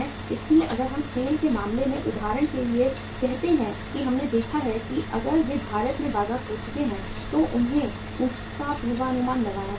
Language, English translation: Hindi, So if we are say for example in case of SAIL we have seen that if they have lost the market in India they should have forecasted it